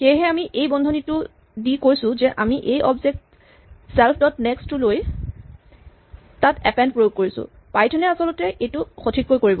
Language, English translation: Assamese, So, we have put this bracket saying that we take the object self dot next and apply append to that actually python will do this correctly